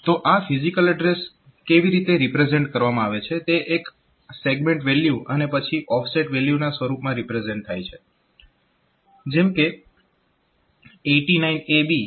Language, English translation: Gujarati, So, how is this physical address represented, this is represented in the form of a segment value and then offset value; so, 89AB colon F012